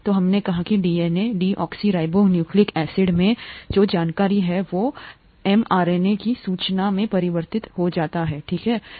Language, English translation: Hindi, So we said that the information in what is called the DNA, deoxyribonucleic acid, gets converted to information in the mRNA, okay